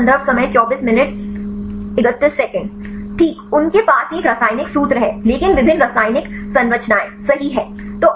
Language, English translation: Hindi, Right they have the same chemical formula, but different chemical structure right